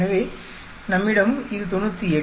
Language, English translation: Tamil, So, we have it here 98